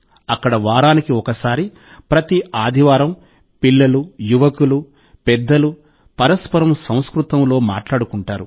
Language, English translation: Telugu, Here, once a week, every Sunday, children, youth and elders talk to each other in Sanskrit